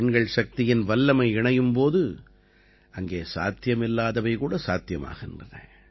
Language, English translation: Tamil, Where the might of women power is added, the impossible can also be made possible